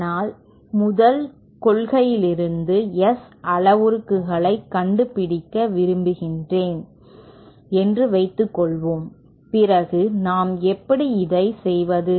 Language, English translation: Tamil, But suppose we want to find out the S parameters from first principles then how do we go so let us take a very simple simple example